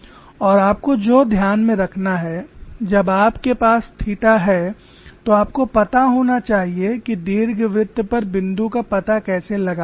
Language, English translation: Hindi, When you have the location as theta you should know how to locate the point on the ellipse